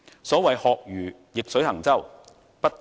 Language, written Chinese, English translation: Cantonese, 所謂"學如逆水行舟，不進則退"。, As the saying goes a boat moving upstream must keep forging ahead or it will be driven back